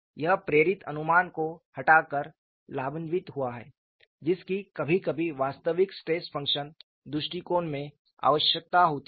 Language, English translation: Hindi, This has benefited by removing the inspired guesswork that is sometimes needed in the real stress function approach